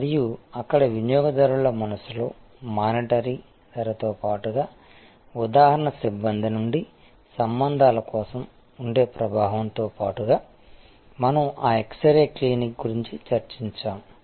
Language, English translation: Telugu, And there, we have to understand that, in customers mind besides the monitory prices, besides the influence that can be there for personnel relationships from the example, we discussed of that x ray clinic